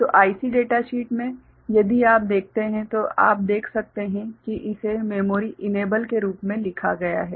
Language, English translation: Hindi, So, in the IC data sheet if you see, you can see that it is written as memory enable ok